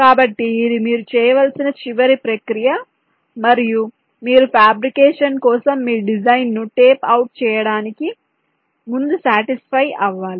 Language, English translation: Telugu, so this is the last process that you need to be done and you should be satisfied about it before you tape out your design for fabrication